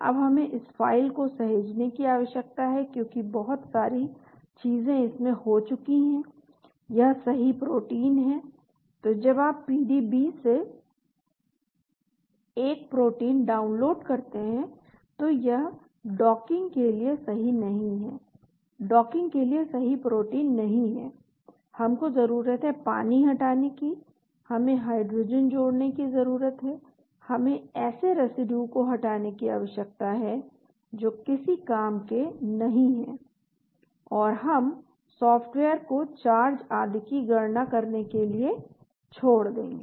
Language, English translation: Hindi, Now we need to save this file because lot of things have been done, this is the correct protein, so when you download a protein from the PDB it is not the correct protein for docking, we need to delete water, we need to add hydrogen, we need to remove residue which are of no use and then we need to leave a software calculate charges and so on